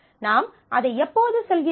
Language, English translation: Tamil, When we say that